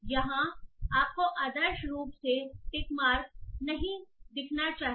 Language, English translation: Hindi, So here you should ideally be not seeing the tick mark